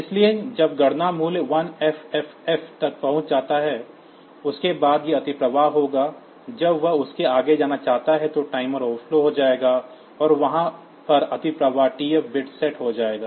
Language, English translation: Hindi, So, when the count value reaches 1FFF, after that it will overflow when it wants to go beyond that then the timer will overflow, and the overflow there is TF bit will be set